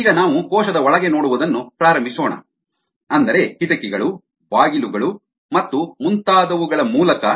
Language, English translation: Kannada, ok, so now lets starts looking inside the cell through various ah you know, windows, doors and so on and so for